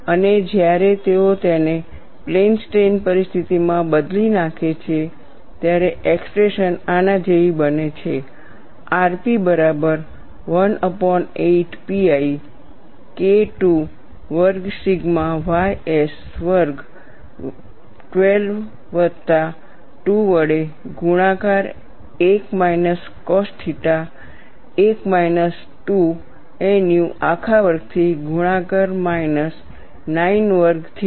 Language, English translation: Gujarati, And when they change it to plane strain situation the expression turn out to be like this, r p equal to 1 by 8 pi K 2 squared by sigma ys squared, multiplied by 12 plus 2 into 1 minus cos theta, multiplied by 1 minus 2 nu whole square minus 9 sin square theta